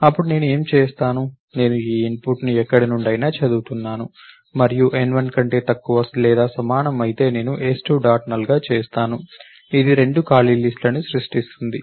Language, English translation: Telugu, Then what I would do is I am reading, let us say this input from somewhere and so I would have, while i less than or equal to n1 and I will do s2 dot make null, which will create two empty list